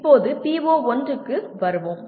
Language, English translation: Tamil, Now let us come to the PO1